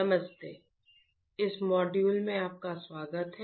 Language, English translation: Hindi, \ Hi, welcome to this module